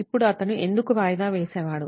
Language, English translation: Telugu, Now why was he a procrastinator